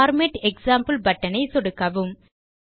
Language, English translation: Tamil, Click the Format example button